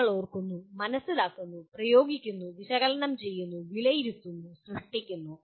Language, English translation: Malayalam, You are remembering, understanding, applying, analyzing, evaluating and creating